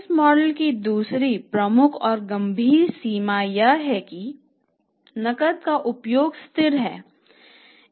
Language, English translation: Hindi, So, this is a second major limitation of this model that steady usage of the cash cannot be there